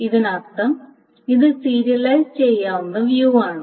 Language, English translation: Malayalam, So that means this is view serializable